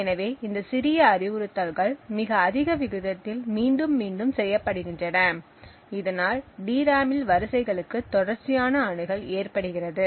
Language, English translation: Tamil, So this small set of instructions is repeated over and over again at a very high rate thus posing continuous access to rows in the DRAM